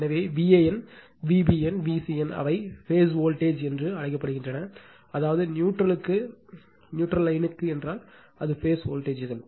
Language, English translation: Tamil, Therefore, V a n, V b n, V c n they are called phase voltages that means, if line to neutral, then it is phase voltages